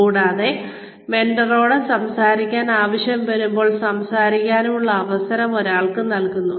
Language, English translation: Malayalam, And, one is given the opportunity, to speak to this mentor, as and when, one needs to speak to this mentor